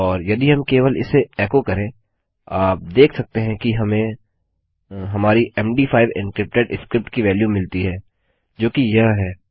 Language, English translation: Hindi, And if we just echo this out, you can see that we get our...., our value of our MD5 encrypted script which is this